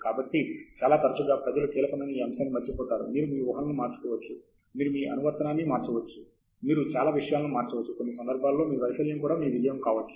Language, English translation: Telugu, So, quite often people miss that point; you change some assumptions, you change the application, you can change so many things to make even your failure become a success